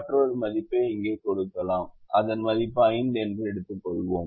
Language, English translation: Tamil, we can give some value here, let's say three, and we can give another value here, let's say five